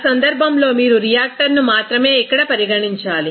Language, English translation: Telugu, That case only you have to consider here the reactor